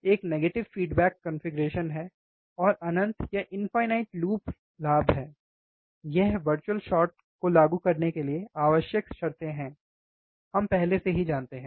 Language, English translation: Hindi, One is negative feedback configuration, and infinite loop gain these are the required condition to apply virtual short, we already know